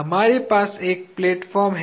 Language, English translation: Hindi, We have a platform